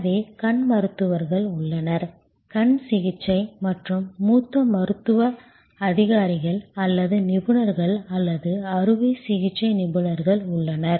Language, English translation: Tamil, So, there are eye doctors, there are ophthalmic assistance and there are senior medical officers or experts or surgeons